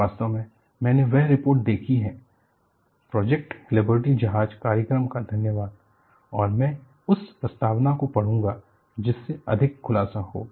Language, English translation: Hindi, In fact, I have access to that report, thanks to the Project Liberty ship program and I would read the foreword, that would be more revealing